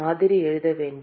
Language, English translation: Tamil, We have to write the model